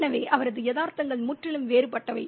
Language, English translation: Tamil, So his realities are completely different